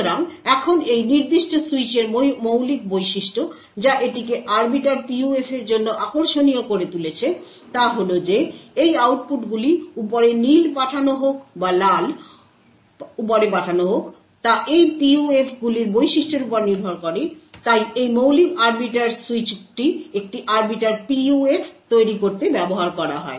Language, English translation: Bengali, So now the fundamental feature about this particular switch that makes it interesting for the Arbiter PUF is that these outputs whether the blue is sent on top or the red is sent on top depends on the characteristics of these PUFs, so this fundamental arbiter switch is used to build an Arbiter PUF